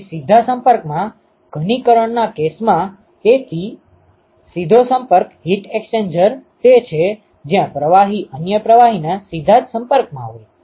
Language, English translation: Gujarati, So, in the in the case of direct contact condensation; so, direct contact heat exchanger is where the fluid is actually in contact with the other fluid directly